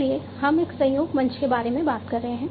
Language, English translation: Hindi, So, we are talking about a collaboration platform